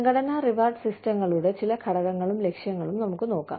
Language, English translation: Malayalam, Then, some components and objectives of, organizational rewards systems